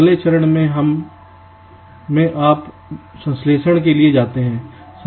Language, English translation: Hindi, in the next step you go for synthesis